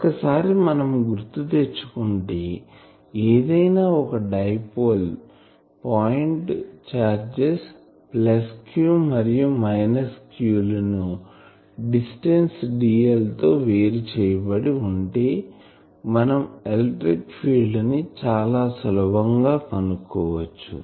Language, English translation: Telugu, Now, here I will recall one thing that if I have a dipole with point charges plus q and minus q separated by a distance dl, then the electric field you can easily find out that electric field that will be given by this in the present form say